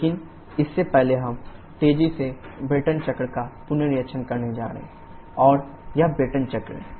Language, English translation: Hindi, But before that we are quickly going to revisit the Brayton cycle, and this is the Brayton cycle